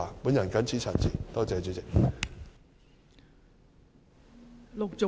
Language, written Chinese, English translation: Cantonese, 我謹此陳辭，多謝代理主席。, I so submit . Thank you Deputy President